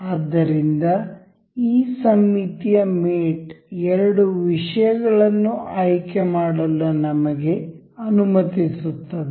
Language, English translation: Kannada, So, this symmetric mate allows us to select two things